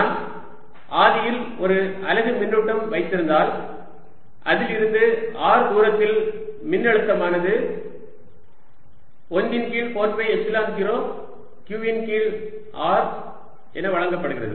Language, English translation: Tamil, you already know the expression that if i have a unit charge at the origin, then at a distance r from it, potential is given as one over four pi, epsilon zero, q over r